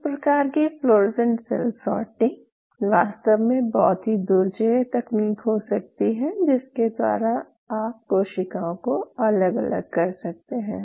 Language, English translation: Hindi, All these kind of fluorescent cell sorting can be really very formidable technique by virtue of each you can isolate them